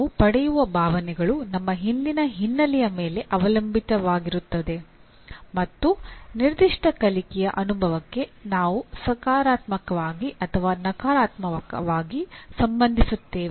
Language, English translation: Kannada, The feelings that we get are dependent on our previous background and we relate either positively or negatively to a particular learning experience